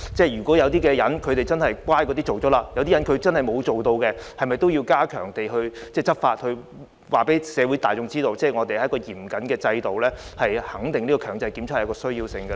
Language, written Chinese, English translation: Cantonese, 如果有些居民已經進行檢測，有些居民卻不肯，政府是否應該加強執法，從而告訴社會大眾這是嚴謹的制度，以及確認強制檢測的需要呢？, If some residents have taken the test while others refused to do so should the Government step up enforcement to show the general public that this is a serious stringent system and affirm the need of compulsory testing?